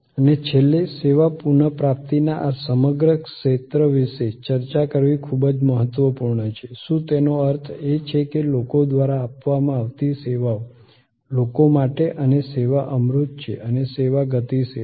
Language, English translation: Gujarati, And lastly, it is very important to discuss about this whole area of service recovery, whether that means, a services provided by people, for people and service is intangible and service is dynamic